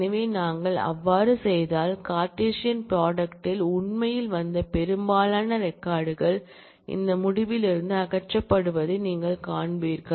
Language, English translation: Tamil, So, if we do that, then you will find that majority of the records that, actually came about in the Cartesian product are eliminated from this result